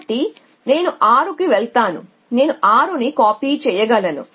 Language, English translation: Telugu, Because its sales I go to 9 I cannot copy 9 so I go to 6 I can copy 6